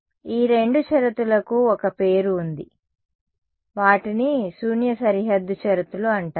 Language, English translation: Telugu, These two conditions there is a name for them they are called Null boundary conditions